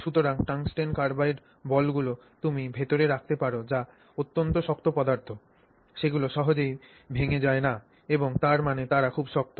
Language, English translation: Bengali, So, tungsten carbide balls you can put in there which are extremely hard materials they don't break easily and they very hard that sense